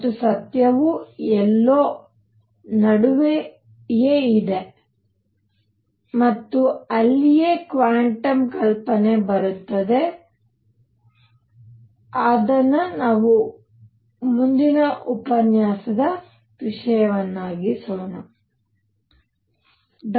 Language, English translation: Kannada, And truth is somewhere in between and that is where quantum hypothesis comes in and that is going to be the subject of the next lecture